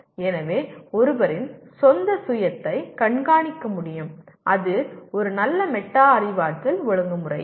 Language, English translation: Tamil, So one is able to monitor one’s own self and that is a good metacognitive regulation